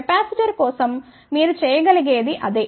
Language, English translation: Telugu, Same thing you can do for the capacitor